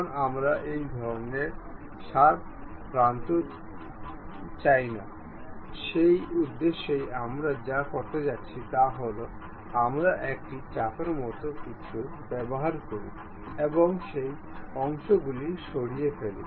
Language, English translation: Bengali, Now, we do not want this kind of sharp edges; for that purpose what we are going to do is, we use something like a arc and remove those portions